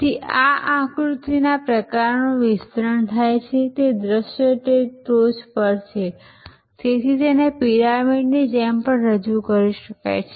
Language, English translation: Gujarati, So, this diagram kind of expands, that view, so on the top is, so this can be even also presented like a pyramid